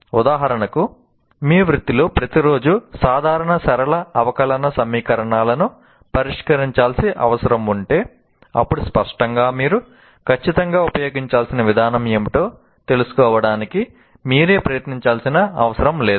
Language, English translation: Telugu, If, for example, your profession calls for solving ordinary linear differential equations every day, then obviously you don't have to exert yourself to find out what exactly the procedure I need to use